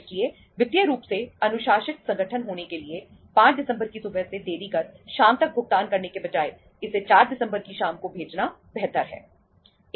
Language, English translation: Hindi, So it is the to be financially disciplined organization it is better to send the payment in the evening of the 4th of December rather than delaying it from the morning till the evening of the 5th of December